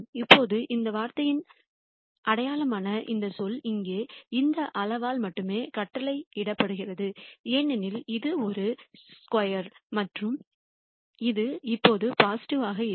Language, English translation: Tamil, Now, this term, the sign of this term, is dictated only by this quantity here because this is a square and it will always be positive